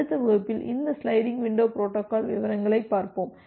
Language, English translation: Tamil, And in the next class we look into this sliding window protocols in details